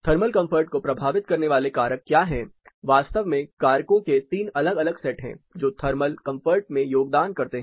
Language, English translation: Hindi, What are the factors influencing thermal comfort; there are three different sets of factors in fact, which contribute to thermal comfort